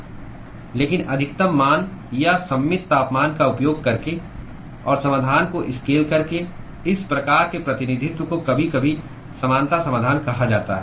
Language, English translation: Hindi, But these kinds of representation by using the maximum value or the symmetric temperature and scaling the solution is sometimes called as the similarity solution